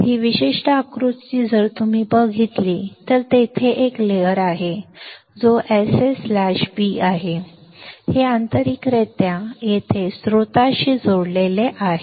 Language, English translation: Marathi, This particular figure if you see, there is a substrate which is SS slash B; this is internally connected to the source over here